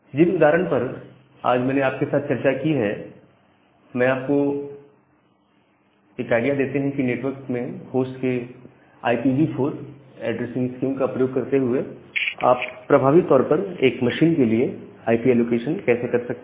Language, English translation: Hindi, So, these examples that I have discussed today so, these examples give you an idea about how you can effectively do IP allocation to a machine using this IPv4 addressing scheme of a host in a network